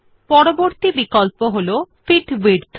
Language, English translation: Bengali, Next option is Fit to Width